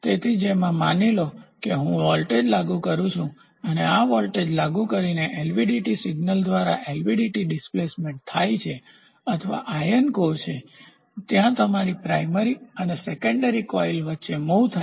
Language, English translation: Gujarati, So, wherein which suppose I apply a voltage and by applying of this voltage I want an LVDT to move the displacement is to be generated by the LVDT signal the core moves or the ion core which is there between the primary and the secondary coil moves